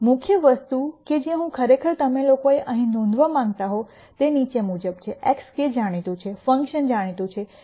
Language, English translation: Gujarati, The key thing that I really want you guys to notice here is the following, x k is known, the function is known